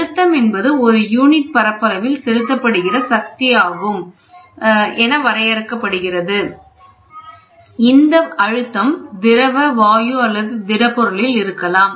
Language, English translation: Tamil, The definition pressure is also defined as force exerted over a unit area, pressure may be exerted by liquid, gas or solid